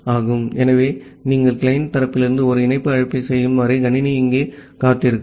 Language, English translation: Tamil, So, the system will keep on waiting here until, you are making a connect call from the client side